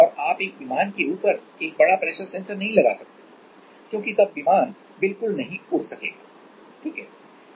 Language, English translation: Hindi, And you cannot put a big pressure sensor on top of an aircraft because then the plane will not fly at all, right